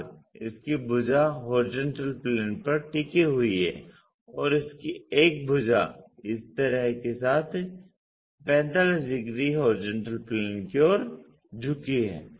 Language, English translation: Hindi, Now its sides are resting on HP and one of its sides with this surface 45 degrees inclined to HP